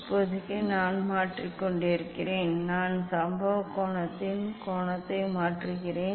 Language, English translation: Tamil, for now, I am just changing the; I am just changing the angle of the incident angle